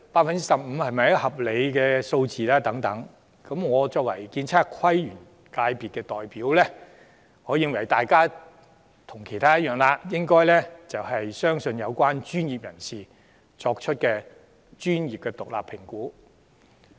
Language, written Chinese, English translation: Cantonese, 我作為建築、測量、都市規劃及園境界的代表則認為，大家應該相信有關專業人士作出的獨立專業評估。, As the representative of the Architectural Surveying Planning and Landscape functional constituency I consider that we should have faith in the professional assessment made independently by professionals from the relevant sector